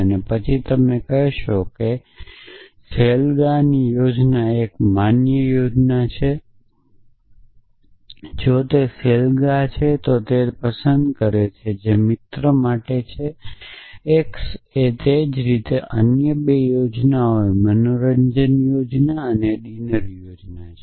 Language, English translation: Gujarati, And then you could say an outing plan is a valid plan if it is an outing and likes that is a f stands for friend x likewise a other 2 plans entertainment plan and a dinner pans